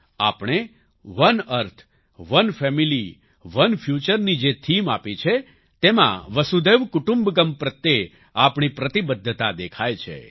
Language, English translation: Gujarati, The theme that we have given "One Earth, One Family, One Future" shows our commitment to Vasudhaiva Kutumbakam